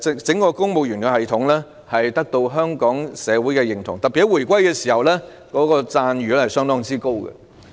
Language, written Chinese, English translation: Cantonese, 整個公務員系統獲得香港社會認同，特別是在回歸時，讚譽相當高。, The entire service civil commanded the recognition of Hong Kong society . In particular around the time of the reunification it won very high acclaim